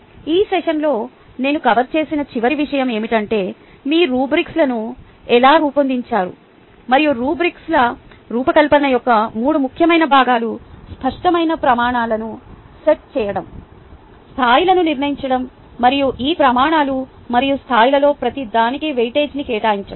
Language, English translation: Telugu, and the last thing which i have covered in this session is: how do you design rubrics, and the three important components of designing rubrics is setting clear criterias, setting levels and assigning weightage to each of these criteria and levels